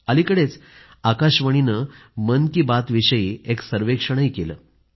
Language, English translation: Marathi, Recently, All India Radio got a survey done on 'Mann Ki Baat'